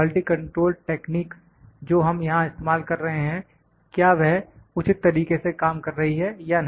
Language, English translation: Hindi, The quality control techniques which we are employing here whether they are working properly or not